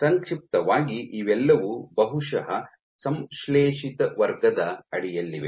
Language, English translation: Kannada, So, these will briefly, will all fall under probably the synthetic category